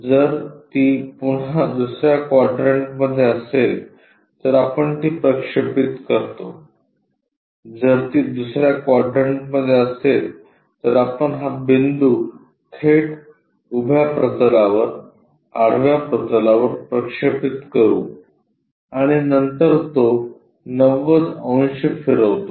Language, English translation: Marathi, If it is in second quadrant again we project that,if it is in second quadrant we will straight away project this point on to vertical plane, horizontal plane project it then rotate it 90 degrees it comes all the way up